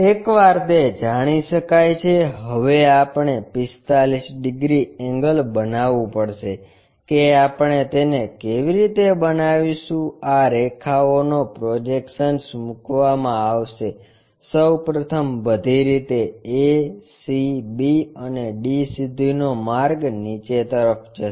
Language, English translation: Gujarati, Once that is known, now we have to make 45 degrees angle that how we are going to make it is project these lines first of all a all the way to a down, c all the way to c, b and d